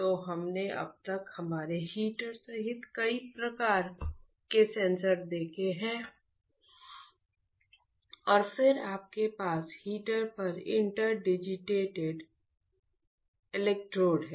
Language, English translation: Hindi, So, we have seen several types of sensors till now including our heater and then you have interdigitated electrodes on the heater